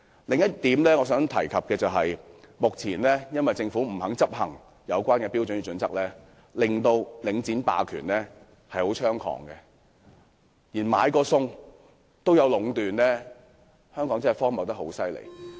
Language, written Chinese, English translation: Cantonese, 此外，我想指出，由於政府不肯執行有關的《規劃標準》，令領展霸權十分猖獗，連買菜也會出現壟斷，香港的情況真是相當荒謬。, Moreover I would also like to point out as the Government is unwilling to implement HKPSG Link REITs hegemony has become rampant and even grocery shopping will be monopolized; the situation in Hong Kong is really ridiculous